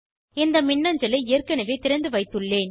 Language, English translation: Tamil, I have already opened this email